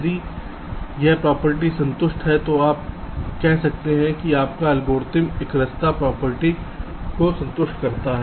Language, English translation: Hindi, if this property satisfied, you can say that your algorithm satisfies the monotonicity property